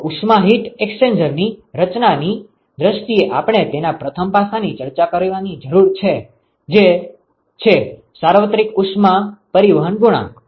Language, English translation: Gujarati, So, what we need the first aspect we need to discuss in terms of designing heat exchanger is the ‘universal heat transport coefficient’